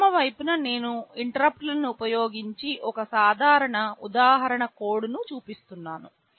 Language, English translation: Telugu, On the left I am showing the code of a simple example using interrupts